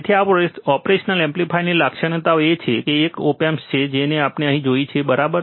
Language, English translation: Gujarati, So, these are the characteristics of an operational amplifier, this is an op amp like we see here, right